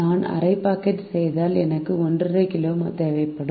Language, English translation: Tamil, if i make half a packets, i would require one and half kg